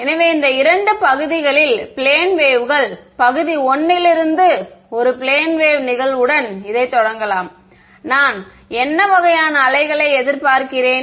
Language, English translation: Tamil, So, plane waves in two regions; I will start with a plane wave incident from region 1 what kind of waves do I expect